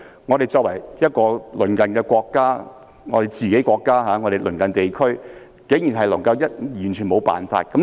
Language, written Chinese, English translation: Cantonese, 中國作為我們自己的國家，亦是香港的鄰近地區，我們竟然完全沒有辦法。, As our Motherland China is also our neighbour . We cannot do anything at all however